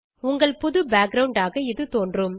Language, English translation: Tamil, It will appear as your new background